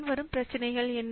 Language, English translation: Tamil, What could the following problems